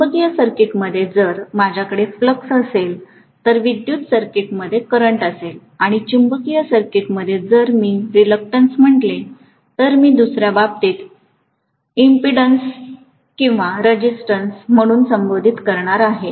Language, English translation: Marathi, In the magnetic circuit, if I have flux, I am going to have in the electric circuit current and in the magnetic circuit if I call this as reluctance, I am going to call in the other case as impedance or resistance